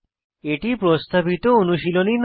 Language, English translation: Bengali, And hence not a recommended practice